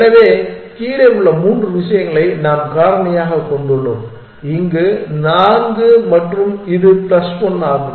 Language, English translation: Tamil, on c and c is on table, so three things below we factor it and plus four here and this is plus 1